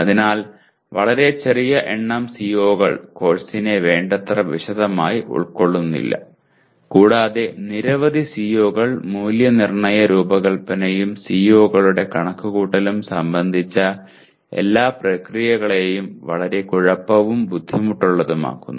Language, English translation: Malayalam, So too small a number do not capture the course in sufficient detail and too many course outcomes make all the processes related to assessment design and computation of attainment of COs very messy and demanding